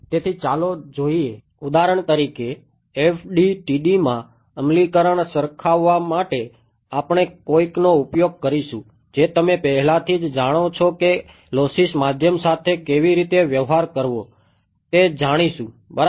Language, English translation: Gujarati, So, let us look at, for example, to make the compare to make the implementation into FDTD we will use something which you already know which is how to deal with lossy media ok